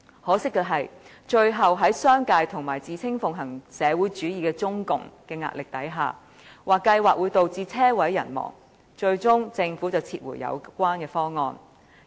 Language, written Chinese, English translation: Cantonese, 可惜的是，在商界及自稱奉行社會主義的中共的壓力下，該計劃被指會導致"車毀人亡"，最終被政府撤回。, Unfortunately under the pressure from the business sector and the Communist Party of China which claimed to practice socialism the Government eventually withdrew OPS as it was criticized that the implementation of which would end up in total wreckage